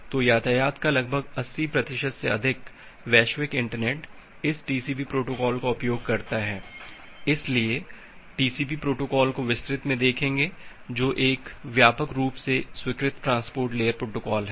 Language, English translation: Hindi, So, around 80 percent of the traffic over the global internet it uses this TCP protocols; so will look into the TCP protocol in details which is a widely accepted transport layer protocol